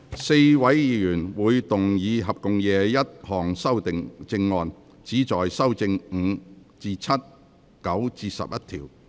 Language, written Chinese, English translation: Cantonese, 4位議員會動議合共21項修正案，旨在修正第5至7及9至11條。, Four Members will move a total of 21 amendments which seek to amend clauses 5 to 7 and 9 to 11